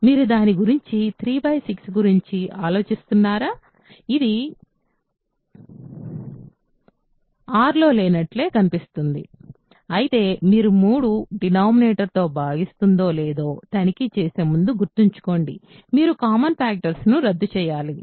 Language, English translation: Telugu, So, it looks like it is not in a R, but remember before you can check the whether 3 divides the denominator or not you have to cancel the common factors